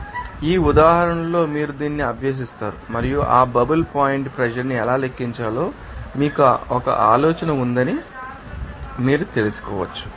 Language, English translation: Telugu, So, in this example, you practice it and you can you know that have idea how to calculate that bubble point pressure